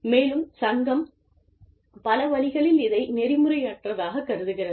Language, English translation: Tamil, And, the association can be perceived as unethical, in many ways